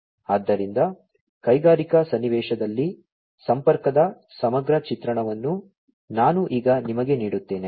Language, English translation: Kannada, So, let me now give you a holistic picture of connectivity in the industrial context